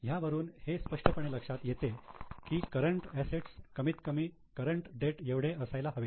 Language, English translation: Marathi, It becomes obvious that your current asset should be at least equal to current liabilities